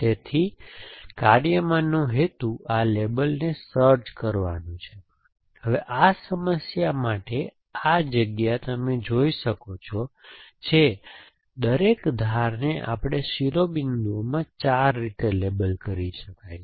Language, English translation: Gujarati, So, object in the task is to find this labels essentially, now this space for this problem you can see is that each edge can be label in 4 ways essentially and we in vertices